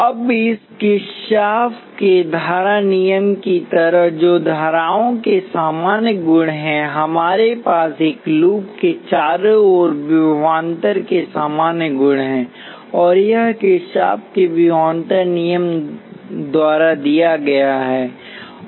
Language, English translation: Hindi, Now just like this Kirchhoff’s current law which is the general properties of currents, we have general properties of voltages around a loop and that is given by Kirchhoff’s voltage law